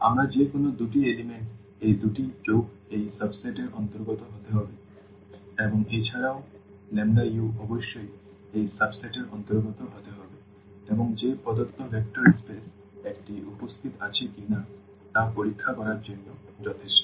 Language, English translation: Bengali, We take the two elements any two elements the sum the addition of these two must belong to this subset and also the lambda u must belong to this subset and that is enough to check that the given space given vector space is a is a subspace